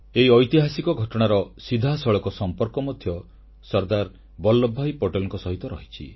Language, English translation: Odia, This incident too is directly related to SardarVallabhbhai Patel